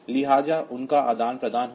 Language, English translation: Hindi, So, they will get exchanged